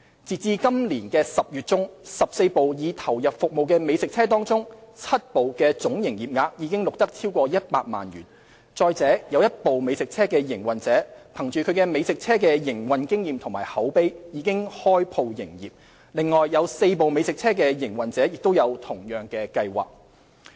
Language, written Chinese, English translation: Cantonese, 截至今年10月中 ，14 部已投入服務的美食車中 ，7 部的總營業額已錄得超過100萬元；再者有一部美食車的營運者憑藉美食車的營運經驗及口碑，已開鋪營業，另有4部美食車的營運者亦有同樣計劃。, By mid - October 7 out of the 14 operating food trucks have each recorded gross revenue of over 1 million . Besides one operator has opened a brick and mortar shop by virtue of the experience and word of mouth gained through food trucks operation . Four other food truck operators also have similar plans